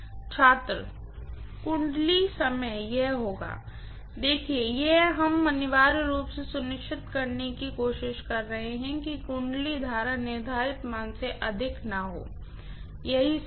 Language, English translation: Hindi, Winding time, it will be (())(36:14) See, we are essentially trying to make sure that the winding current should not exceed the rated value, that is all